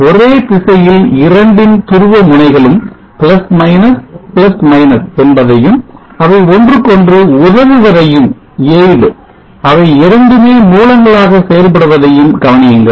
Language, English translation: Tamil, Notice the polarity + , + both are the same direction and they aid each other and both are acting as sources